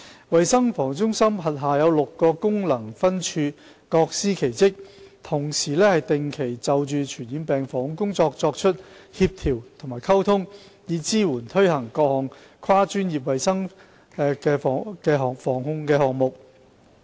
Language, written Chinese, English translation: Cantonese, 衞生防護中心轄下有6個功能分處，各司其職，同時定期就着傳染病防控工作作出協調及溝通，以支援和推行各項跨專業衞生防護項目。, There are six functional branches under CHP each has its own specific duties . They collaborate and communicate on a regular basis regarding the prevention and control of communicable diseases in order to support and implement multi - disciplinary health protection programmes